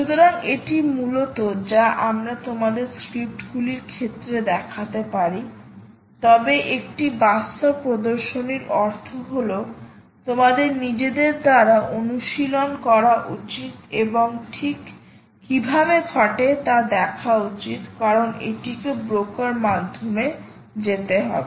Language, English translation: Bengali, so this is mainly what you can, what we can show you in terms of scripts, but a real demonstration would mean that you should actually practice by yourself and see how exactly it happens, because it has to pass through the broker